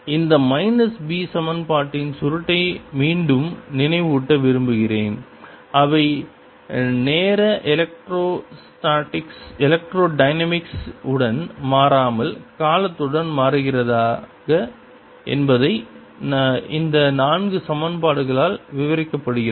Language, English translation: Tamil, again, i want to remind you this minus sign, the curl of b equation, whether they are changing with the time, not changing with time, electrostatic, magnetostatic, everything is described by these four equations